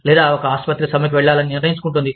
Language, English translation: Telugu, Or, one hospital, decides to go on strike